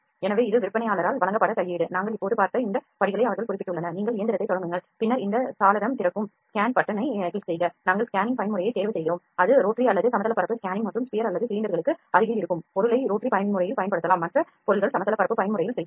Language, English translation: Tamil, So, this is the manual it is provided by the vendor they have just mentioned this steps that we just saw, you just start the machine then we click on the scan button these window opens, the we choose the scanning mode that is either the rotary or plane scanning and the object whose shape is closed to sphere or cylinder can be used in rotary mode other objects go in the plane mode